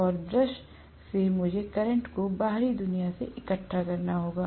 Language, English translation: Hindi, And from the brush I will have to collect the current to the external world